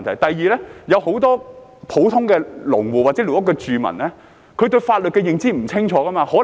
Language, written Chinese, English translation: Cantonese, 第二，有很多普通農戶或寮屋住民對法律的認知不清楚。, Secondly many ordinary farmers or squatter residents do not have a clear understanding of the law